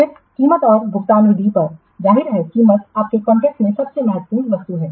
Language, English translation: Hindi, Then the price and payment method, obviously the price is the most important item in a contract